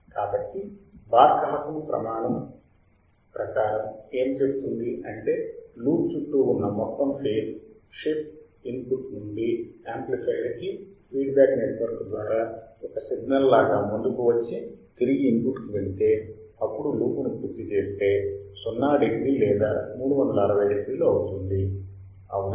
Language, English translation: Telugu, So, the Barkhausen criterion states that one the total phase shift around a loop is a signal proceeds from input through the amplifier, feedback network back to the input again completing a loop should be 0 degree or 360 degree right